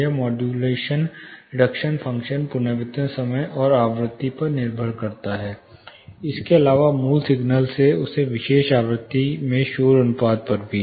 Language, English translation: Hindi, This depends, this modulation reduction function depends on the reverberation time and the frequency, apart from the basic signal to noise ratio in that particular frequency